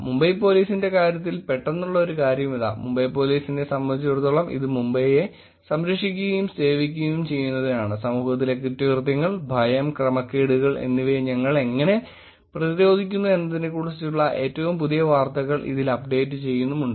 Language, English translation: Malayalam, Here is a quick one in terms of Mumbai Police, at Mumbai cops, it iays protecting and serving Mumbai; keep updated with latest news on how we are combating crime, fear and disorder in the community